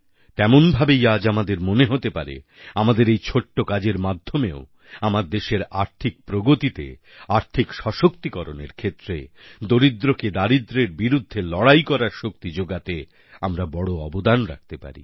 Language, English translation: Bengali, In the same way today we may feel that even by making a tiny contribution I may be contributing in a big way to help in the economic upliftment and economic empowerment of my country and help fight a battle against poverty by lending strength to the poor